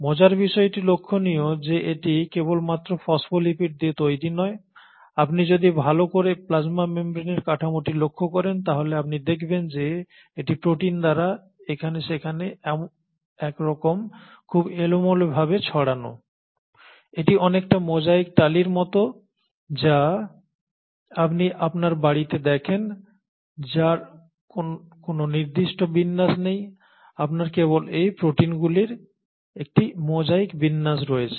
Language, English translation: Bengali, And what is interesting is to note that it is not just made up of lipids that is the phospholipids, on a routine basis if you were to look at the structure of the plasma membrane you find that, it kind of get interspersed in a very random fashion by proteins here and there, it is almost like the mosaic tiles that you see in your homes classically which has no specific pattern, you just have a mosaic arrangement of these proteins